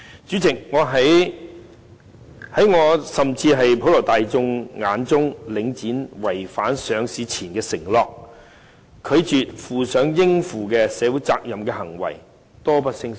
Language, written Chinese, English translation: Cantonese, 主席，在我甚至是普羅大眾眼中，領展違反上市前的承諾，拒絕負上應負的社會責任的行為，多不勝數。, President to me and even to members of the general public there have been countless occasions on which Link REIT reneged on its promises made before listing and refused to take up social responsibilities required of it